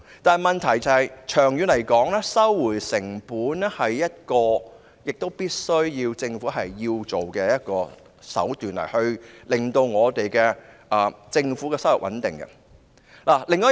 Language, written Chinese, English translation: Cantonese, 但問題是，長遠來說，收回成本亦是政府必須做到的，務求令政府有穩定的收入。, But the problem is in the long term cost recovery is something that the Government must pursue in order to maintain stable revenue